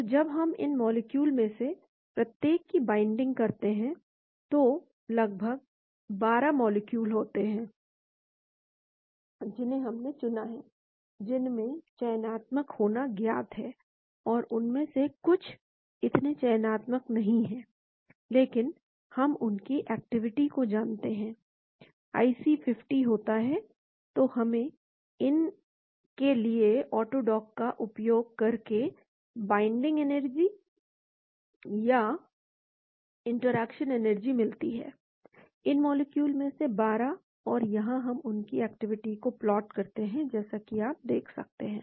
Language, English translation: Hindi, So, when we do binding of each one of these molecules , there are about almost 12 molecules which we have selected, which are known to have selective and some of them are not so selective; but we know the activity of them, there is IC 50, so we get the binding energy or interaction energies using Auto dock for these; 12 of these molecules and here we plot their activity , as you can see here